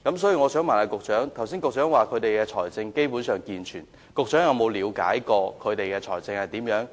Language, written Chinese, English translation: Cantonese, 雖然局長剛才說學校的財政基本健全，但局長有否了解過它們的財政狀況？, While the Secretary has remarked just now that the financial situation of schools is basically sound has the Secretary ever tried to gain an understanding of their financial situation?